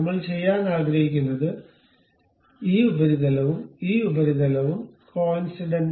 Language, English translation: Malayalam, What I would like to do is this surface and this surface supposed to be coincident